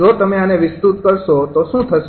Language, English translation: Gujarati, if you expand this, what will happen